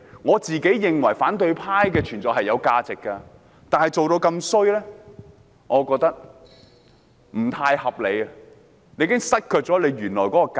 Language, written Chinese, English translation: Cantonese, 我認為反對派的存在是有其價值的，但他們做得這麼差勁，我覺得已經失卻了原來的價值。, I believe the existence of the opposition camp is valuable . But the original value is lost due to the lousy job that they have done